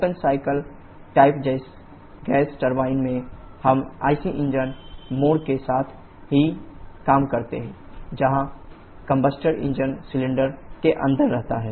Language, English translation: Hindi, In open cycle type gas turbine, we work with the IC engine mode only where the combustor remains inside engine cylinder